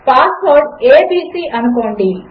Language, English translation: Telugu, Say the password is abc